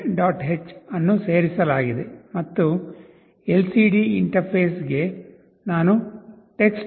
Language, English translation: Kannada, h is included and for LCD interface, I need to interface TextLCD